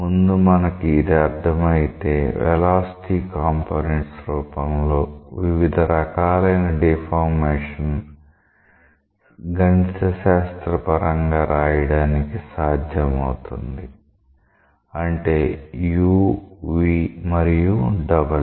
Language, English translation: Telugu, Once we understand that it will be possible for us to mathematically express different types of deformations in terms of the velocity components say u, v and w